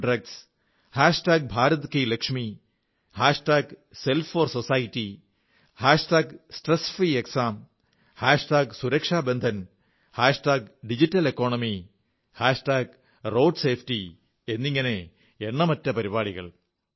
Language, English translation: Malayalam, 'No to Drugs', 'Bharat Ki Lakshmi', 'Self for Society', 'Stress free Exams', 'Suraksha Bandhan' 'Digital Economy', 'Road Safety'…